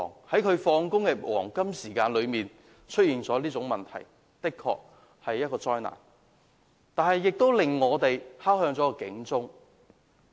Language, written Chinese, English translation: Cantonese, 在下班的黃金時間內出現這種事故，實在是一場災難，亦敲響了警鐘。, The occurrence of such kind of incident during the evening peak hours was indeed a big disaster and has set off an alarm